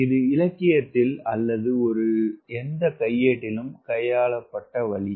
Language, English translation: Tamil, so this is way, the way it has been handled in the literature or any manual